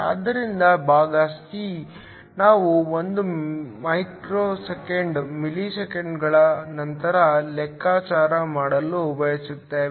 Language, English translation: Kannada, So, part c, we want to calculate Δn 1 millisecond later